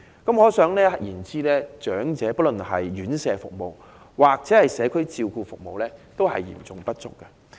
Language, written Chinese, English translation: Cantonese, 可想而知，長者的院舍服務及社區照顧服務均嚴重不足。, The serious shortage of residential and community care services for the elderly can thus be imagined